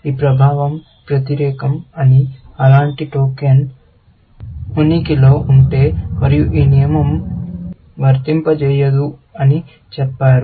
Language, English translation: Telugu, This one says that the effect is opposite, that if such a token exist, and this rule will not fire